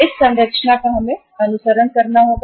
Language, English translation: Hindi, This structure we have to follow